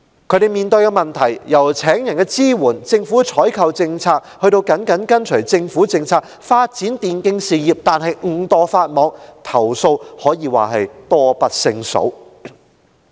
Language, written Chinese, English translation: Cantonese, 他們面對的問題，由聘請員工的支援、政府的採購政策、甚至緊隨政府政策發展電競事業但誤墮法網的情況，投訴可說是多不勝數。, Problems encountered by them range from support for staff recruitment the Governments procurement policy and cases of inadvertent breaches of the law by developing e - sports closely following government policies . Complaints are just too numerous